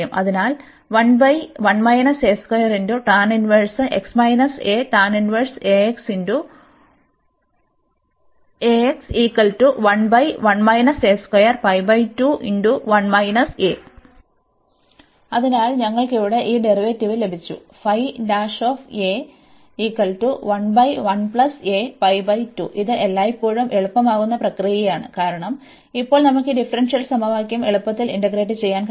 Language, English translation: Malayalam, So, we got this derivative here, and that is the always the process this which makes it easier, because now we can easily integrate this differential equation